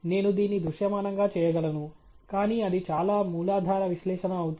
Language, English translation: Telugu, I can do this visually, but that’s going to be too rudimentary an analysis